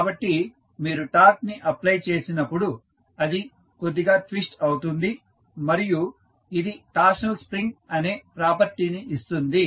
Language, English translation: Telugu, So, when you give torque it twists slightly which give the property of torsional spring